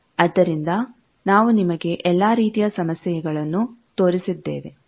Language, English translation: Kannada, So, we have shown you all the problems, etcetera